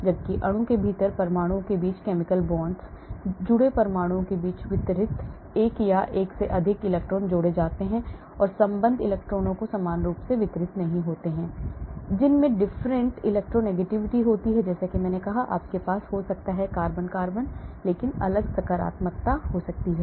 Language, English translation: Hindi, Whereas chemical bonds between atoms within molecule consists of one or more electron pairs distributed among the connected atoms and bonding electrons are not equally distributed atoms that have different electronegativity like I said O – you may have, , may be carbon may be different positive